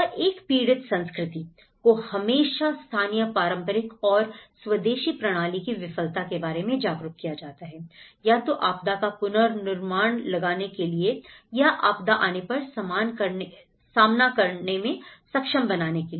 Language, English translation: Hindi, And a victim culture is always being made aware of the failure of the local, traditional and indigenous systems to either anticipate the disaster or be able to cope up when it happens